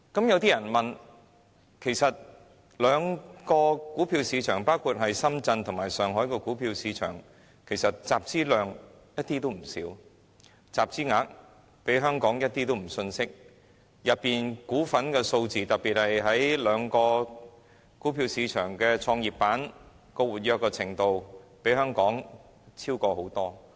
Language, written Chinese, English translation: Cantonese, 有些人會問，其實兩大股票市場，包括深圳和上海的股票市場的集資量一點也不少，集資額亦絕不遜色於香港股份數字，特別是兩個股票市場的創業板的活躍程度，更遠超於香港。, Some people think that the capital - raising capacities of the two major stock markets namely the Shenzhen and Shanghai stock markets are by no means small and their capital - raising volumes do not compare any less favourably with that of Hong Kong shares . In particular the Growth Enterprise Markets of these two Mainland places are far more active than their counterpart in Hong Kong